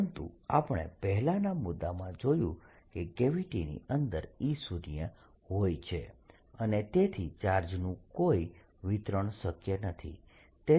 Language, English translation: Gujarati, but we just seen the previous point that e zero inside the gravity and therefore they cannot be a distribution of charge